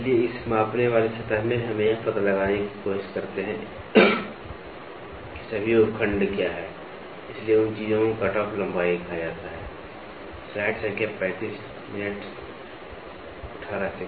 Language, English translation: Hindi, So, in this measuring surface, we try to find out what are all the sub segments, so those things are called as cutoff lengths